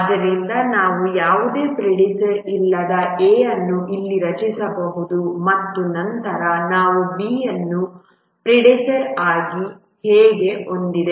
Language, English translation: Kannada, So we can draw A here which has no predecessor and then we have B has A as the predecessor